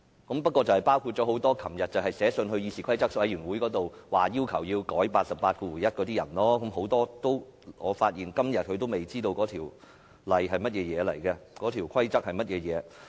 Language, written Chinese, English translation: Cantonese, 那些議員包括多位昨天去信要求議事規則委員會修改第881條的同事，但我發現他們到了今天仍未知道有關條文或規則的內容。, Such Members include a number of colleagues who wrote to the Committee on Rules of Procedure yesterday for amending RoP 881 . Yet I notice that to this day they still do not know what this provision or this rule is about